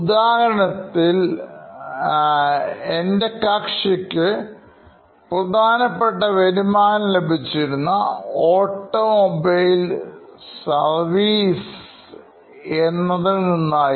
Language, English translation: Malayalam, In another example, I had a client who had primary revenue coming from automobile servicing